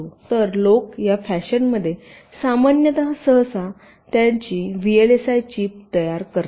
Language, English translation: Marathi, so people normally create their vlsi chips today in this fashion